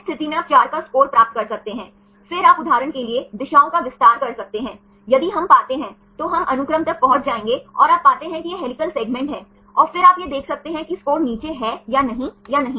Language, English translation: Hindi, In this case you can get a score of 4, then you can extend the directions for example, if we find, we will reach the sequence and you find this is the helical segment, and then you can extend and see whether the score is down or not